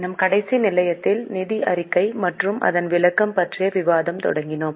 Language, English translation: Tamil, In our last session we had started of financial statement and its interpretation